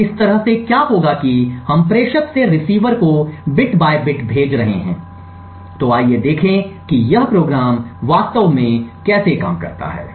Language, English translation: Hindi, So, in this way what would happen is that we are sending bit by bit from the sender to the receiver, so let us see how this program actually works